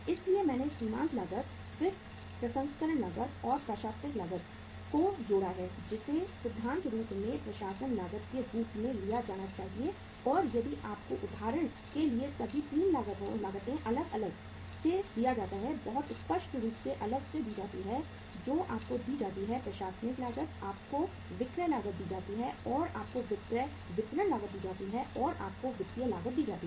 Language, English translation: Hindi, So I have added up the marginal cost, then the processing cost, and the administration cost which should be taken in principle as administration cost and if you are given separately for example all the 3 costs are given to us very clearly separately that you are given the administrative cost, you are given the selling uh cost and you are given selling distribution cost, and you are given the financial cost